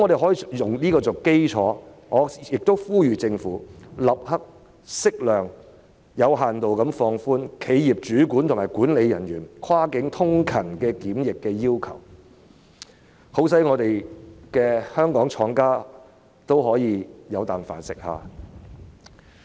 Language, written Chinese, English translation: Cantonese, 按此基礎，我呼籲政府立刻適量、有限度放寬企業主管和管理人員跨境通勤的檢疫要求，好讓香港廠家可以經營下去。, On this basis I urge the Government to immediately relax the quarantine requirement on the executives and management of enterprises who are cross - border commuters to a limited extent as appropriate so that Hong Kong manufacturers can continue with their operation